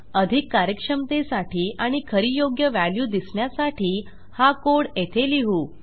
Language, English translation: Marathi, So, for maximum efficiency and to get the actual correct value Ill put this code down there